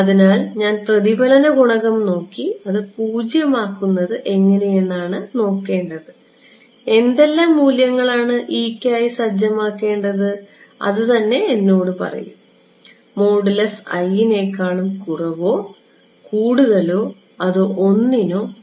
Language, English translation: Malayalam, So, I should look at the reflection coefficient and see how to make it zero and that itself will tell me what values of e to set, should the modulus less than one equal to one greater than one